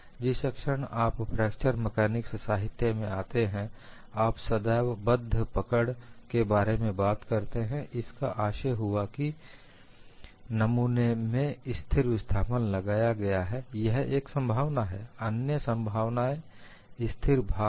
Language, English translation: Hindi, The moment you come to fracture mechanics literature, you always talk about fixed grips; that means, we have constant displacement applied to the specimen, this is one possibility, another possibility is constant load, why do we do that